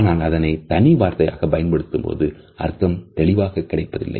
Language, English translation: Tamil, So, if we are using a single word the meaning does not become clear